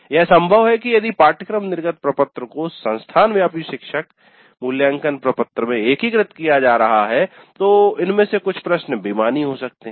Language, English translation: Hindi, Now it is possible that if the course exit survey form is getting integrated into an institute wide faculty evaluation form, some of these questions may become redundant